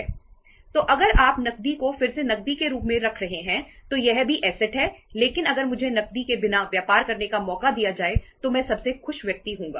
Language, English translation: Hindi, So two because if you are keeping cash as a cash again itís also asset but if given a chance to me to do the business without cash Iíll be the happiest person